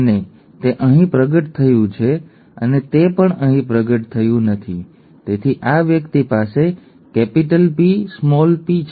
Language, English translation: Gujarati, And since it has manifest here and also it has not manifest here this person must have had capital P, small p, okay